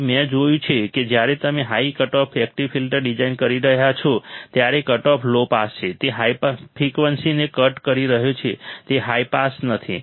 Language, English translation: Gujarati, So, what I have seen that when you are designing high cutoff active filters, the cutoff is low pass, it is cutting high frequency it is not high pass